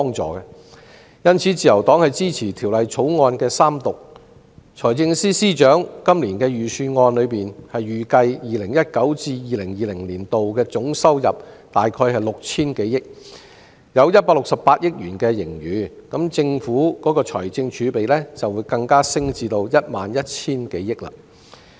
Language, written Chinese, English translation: Cantonese, 在今年的財政預算案中，財政司司長預算 2019-2020 年度總收入約為 6,000 多億元，有168億元盈餘，政府的財政儲備更會升至 11,000 多億元。, In this years Budget the Financial Secretary estimated that the total government revenue for 2019 - 2020 would be more than 600 billion with a surplus of 16.8 billion and the Governments fiscal reserves would be over 1,100 billion